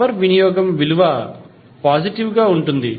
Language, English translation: Telugu, The power consumption is positive